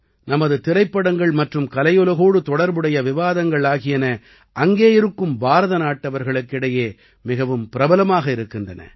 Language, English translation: Tamil, Our films and discussions related to the art world are very popular among the Indian community there